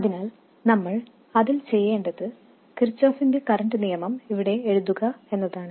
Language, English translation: Malayalam, So all we have to do in that is to write the Kirkoff's current law here